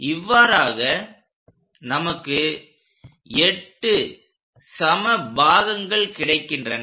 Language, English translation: Tamil, So, 8 equal parts